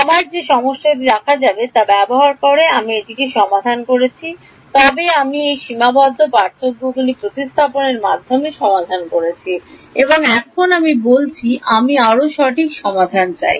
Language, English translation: Bengali, I have a problem I have solved this using the details we will see, but I have solved at using replacing these finite differences and now I say I want to more accurate solution